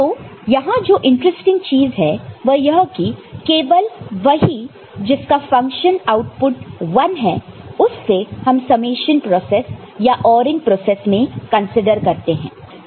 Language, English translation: Hindi, So, interesting thing is here that only the one that are having function output 1, which is considered in this summation process or ORing process